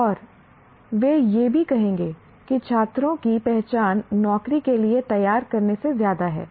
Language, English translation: Hindi, And they will also say education is more than preparing students for identified job